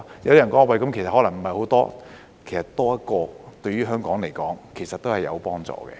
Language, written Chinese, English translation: Cantonese, 有人覺得人數可能不是很多，其實多一個，對於香港來說，都是有幫助的。, Some people think that this may not bring in many doctors well so long as one additional doctor can be brought in it can still be helpful to Hong Kong